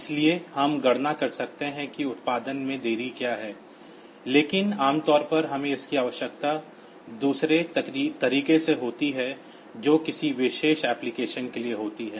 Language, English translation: Hindi, So, we can we can calculate what is the delay that is produced, but normally we need it in the other way that is for a particular application